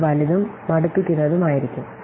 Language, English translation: Malayalam, It is a third, it will be large and tedious